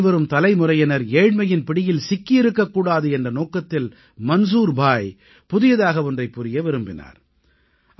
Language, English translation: Tamil, Manzoor bhai wanted to do something new so that his coming generations wouldn't have to live in poverty